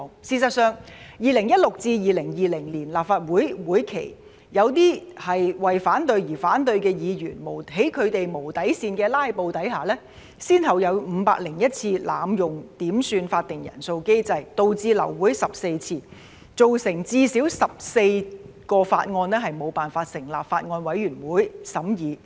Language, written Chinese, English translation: Cantonese, 事實上，在2016年至2020年的立法會會期，在一些為反對而反對的議員的無底線"拉布"下，先後有501次濫用點算法定人數機制，導致流會14次，造成最少14項法案無法成立法案委員會審議。, As a matter of fact during the legislative sessions between 2016 and 2020 under the unprincipled filibustering staged by some Members who opposed for the sake of opposing there were 501 instances of abusing the quorum call mechanism leading to 14 aborted meetings and failure to form Bills Committees to study at least 14 bills